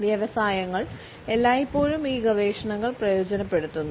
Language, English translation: Malayalam, Industries have always taken advantage of these researchers